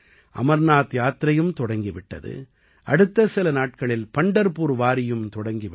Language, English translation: Tamil, The Amarnath Yatra has also commenced, and in the next few days, the Pandharpur Wari is also about to start